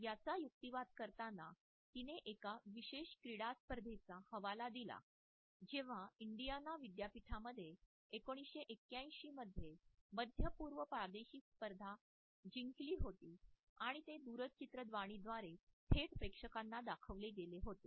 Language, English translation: Marathi, In the course of her argument she has quoted from a particularly sports event, when Indiana university had won the 1981 Middle East regional championship and it was shown on the TV to a live audience